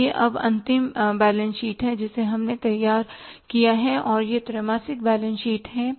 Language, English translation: Hindi, So this is now the final balance sheet which we have prepared and this is the quarterly balance sheet